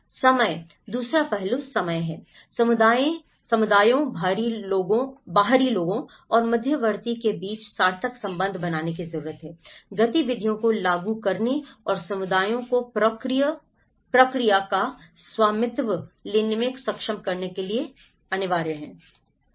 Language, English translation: Hindi, Time; the second aspect is time, it is needed to build meaningful relationships between communities, outsiders and the intermediate; the in between, to implement activities and to enable communities to take ownership of the process